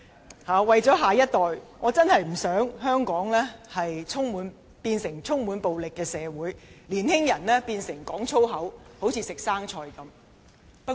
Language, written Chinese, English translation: Cantonese, 為着我們的下一代，我真的不希望香港變成充滿暴力的社會，年青人隨隨便便說粗言。, For the sake of our next generation I honestly do not want to see Hong Kong become a community where violence prevails and young people use vulgarisms casually